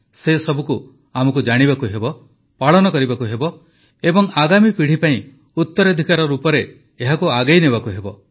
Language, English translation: Odia, We not only have to know it, live it and pass it on as a legacy for generations to come